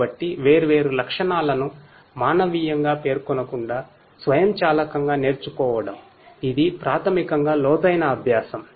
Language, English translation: Telugu, So, learning different features automatically without manually specifying them this is basically the deep learning